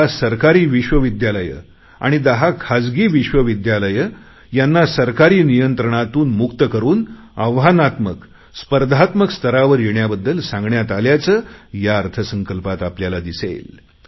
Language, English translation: Marathi, In the Budget, we have made 10 government universities and 10 private universities free from government control and asked them to accept the challenge to flourish on their own